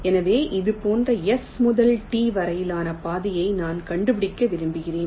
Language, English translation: Tamil, so i want to find out a path from s, two d like this